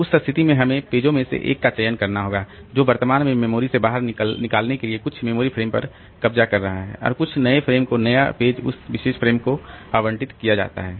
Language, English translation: Hindi, So, in that case we have to select one of the pages which is currently occupying some memory frame to be taken out of the memory and some new frame, new page should be allocated that particular frame